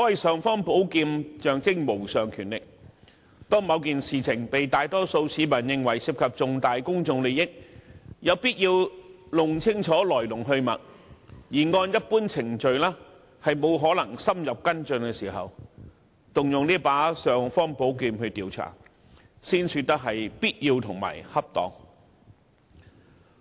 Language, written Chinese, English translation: Cantonese, "尚方寶劍"象徵無上權力，當某件事情被大多數市民認為涉及重大公眾利益，有必要弄清楚來龍去脈，但按一般程序卻無法深入跟進的時候，便要動用這把"尚方寶劍"來調查，這樣才算必要和恰當。, An imperial sword which symbolizes mighty power will only be used to inquire into an incident considered by the majority to be involved with significant public interest and hence it is necessary to find out its ins and outs but in - depth follow - up action cannot be taken in the usual manner . Under such a situation it will be essential and appropriate to use the imperial sword